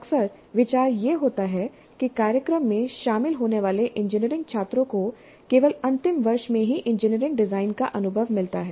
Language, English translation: Hindi, Often the idea is that the engineering students who join the program do get exposure to engineering design only in the final year